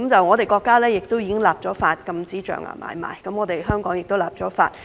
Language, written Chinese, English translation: Cantonese, 我們的國家已經立法禁止象牙買賣，香港亦已立法。, Our country has enacted legislation to ban ivory trade and so has Hong Kong